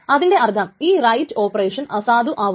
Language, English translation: Malayalam, That means this read is invalidated